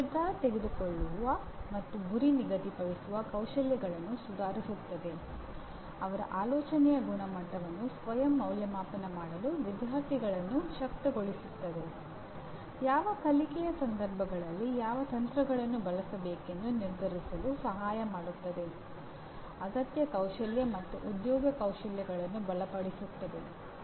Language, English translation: Kannada, Improves decision making and goal setting skills; Enables students to self assess the quality of their thinking; Helps to decide which strategies to use in which learning situations; Strengthens essential skills and employability skills